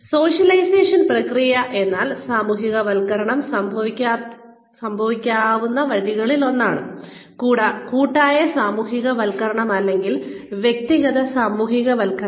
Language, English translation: Malayalam, Socialization process includes, or consists of, one of the ways in which, socialization can occur is, collective socialization or individual socialization